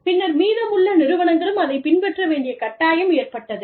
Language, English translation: Tamil, And then, the rest of the people, were forced to follow